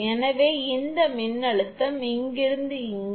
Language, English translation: Tamil, So, this voltage is V 1 from here to here